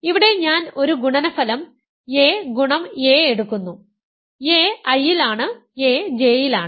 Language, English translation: Malayalam, Here I am just taking a single product a times a; a is in I, a is in J